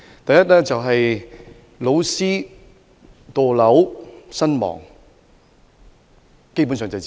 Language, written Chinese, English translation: Cantonese, 第一，老師墮樓身亡，基本上就是自殺。, Firstly the incident of a teacher jumping to death is basically a suicide case